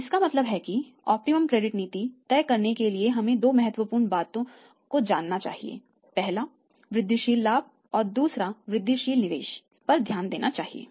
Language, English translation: Hindi, So, it means deciding the optimum credit policy we should take into consideration two important things incremental profit and the incremental investment